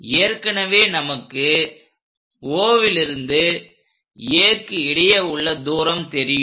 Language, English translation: Tamil, Already we know O to A